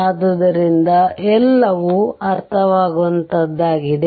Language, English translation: Kannada, So, everything is understandable to you